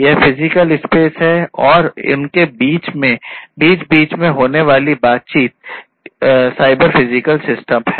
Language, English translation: Hindi, This is the physical space, right and the interaction between them will make it the cyber physical system